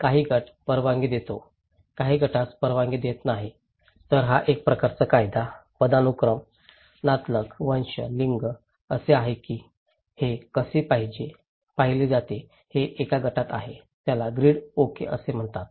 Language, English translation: Marathi, Some group permits, some group do not permit okay so, it is a kind of law, hierarchy, kinship, race, gender that how it is viewed this is in a group, this is called grid okay